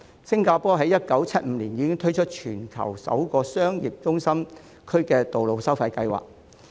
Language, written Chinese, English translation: Cantonese, 新加坡在1975年已推出全球首個商業中心區道路收費計劃。, Singapore launched the worlds first toll plan for roads of central business district in 1975